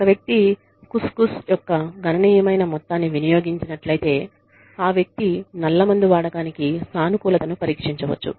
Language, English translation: Telugu, And, if a person has consumed, a significant amount of Khus Khus, then the person could be, could test positive, for opium use